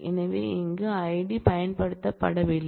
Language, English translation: Tamil, So, here ID is not used